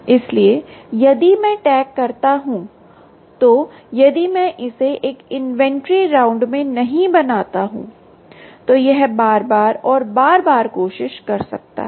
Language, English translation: Hindi, so if i slot, if i tag does not make it in one inventory round, it can try again and again and again and again